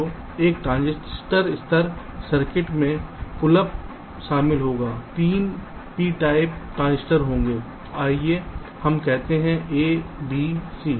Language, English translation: Hindi, so a transistor level circuit will consists of: the pull up there will be three beta transistors, lets say a, b, c